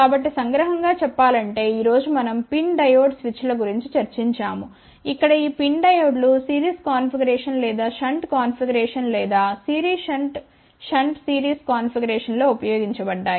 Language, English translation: Telugu, So, just to summarize today we have discussed about PIN Diode switches, where these PIN diodes have been either used in series configuration or shunt configuration or series shunt series shunt series configuration